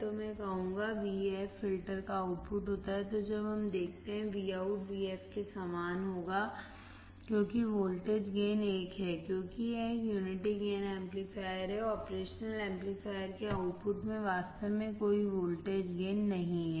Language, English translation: Hindi, So, I will say vf is output of filter then when we see Vout would be similar to vf because the voltage gain is 1, as it is a unity gain amplifier; there is no actually voltage gain in the output of the operation amplifier